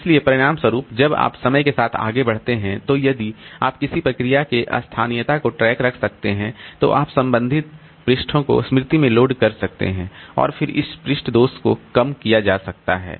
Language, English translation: Hindi, So, as a result as you are proceeding over time, so if you can keep a track of the locality of a process then you can load the corresponding pages into memory and then this page fault rate can be reduced